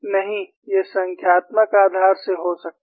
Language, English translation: Hindi, No, it might come from numerical basis